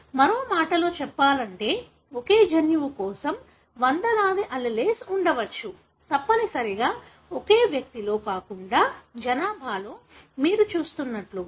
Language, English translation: Telugu, So in other words, for the same gene it could have hundreds of alleles that are possible, not necessarily in the same individual but in the population, like what you see